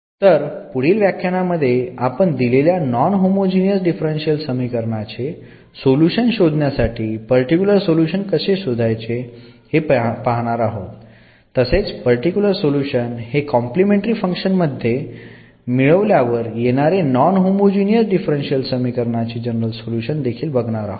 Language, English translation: Marathi, So, in the next lecture what we will learn now how to find a particular solution of the given non homogeneous differential equation and when we add that two we will get basically the general solution of the given non homogeneous differential equation